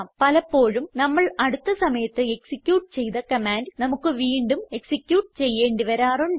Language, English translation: Malayalam, Often we want to re execute a command that we had executed in the recent past